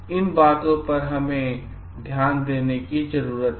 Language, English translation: Hindi, We need to take care of those things